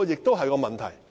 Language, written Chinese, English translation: Cantonese, 這是一個問題。, This is a question